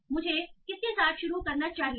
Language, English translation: Hindi, So what should I start with